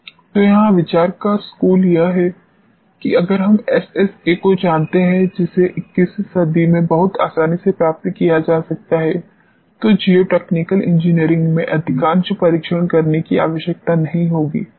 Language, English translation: Hindi, So, this is where the school of thought is that if we know SSA which can be obtain very easily in 21st century most of the testing in geotechnical engineering need not to be executed alright